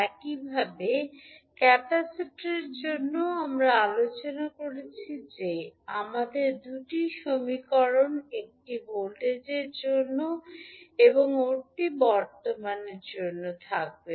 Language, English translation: Bengali, Similarly for capacitor also we discussed that we will have the two equations one for voltage and another for current